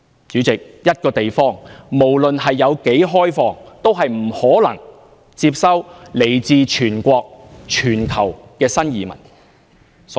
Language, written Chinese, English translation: Cantonese, 主席，一個地方不論有多開放，也不可能接收來自全國、全球的新移民。, President regardless of the extent of openness of a place it is impossible for a place to accept immigrants from a whole country and the whole world